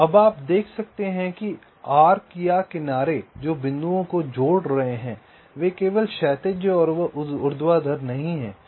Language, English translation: Hindi, so now you can see that the arcs, or the edges that are connecting the points, they are not horizontal and vertical only